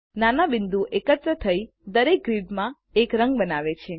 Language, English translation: Gujarati, The small dots make up the color in each grid